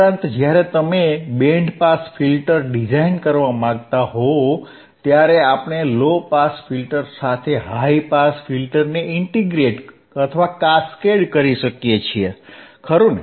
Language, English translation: Gujarati, Also, when you want to design source what we understand we when we want to design a band pass filter, we can integrate or cascade a high pass filter with the low pass filter, alright